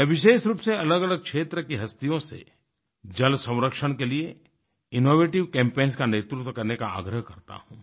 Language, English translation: Hindi, I specifically urge the luminaries belonging to different walks of life to lead promotion of water conservation through innovative campaigns